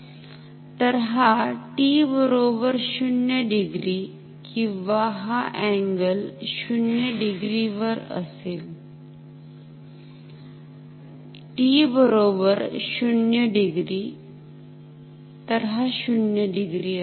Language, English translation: Marathi, So, this is at t equals or this angle at the angle of 0 degree, t equal to 0 degree, so this is 0 degree